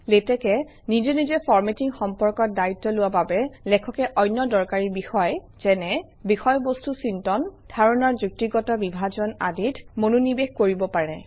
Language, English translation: Assamese, With latex taking care of formatting, the writer can concentrate on more important activities, such as, content generation and logical sequencing of ideas